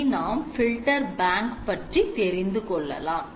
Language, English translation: Tamil, Okay so now we move onto the filter bank okay